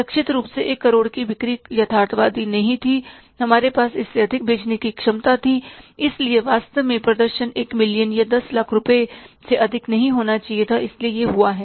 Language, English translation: Hindi, Selling worth rupees 1 million as targeted was not, means realistic, we had the capability to sell more than that So, actually the performance was ought to be more than 1 million or 10 lakh rupees so it has come up